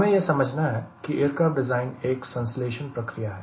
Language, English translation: Hindi, and to be specific, we need to understand that aircraft design is a synthesis process, right